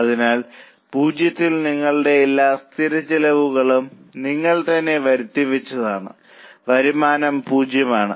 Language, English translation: Malayalam, So, at zero, you have incurred all your fixed cost, the revenue is zero, so fixed cost is a maximum loss